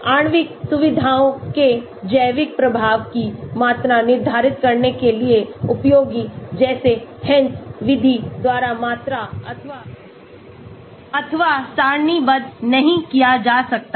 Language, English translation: Hindi, Useful for quantifying the biological effect of molecular features that cannot be quantified or tabulated by the Hansch method